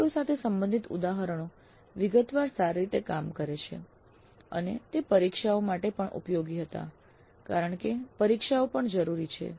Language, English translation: Gujarati, Then examples relevant to the COs worked out well in detail and also they were useful for examinations because examinations are also essential